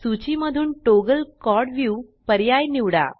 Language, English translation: Marathi, Select the option Toggle Quad view from the list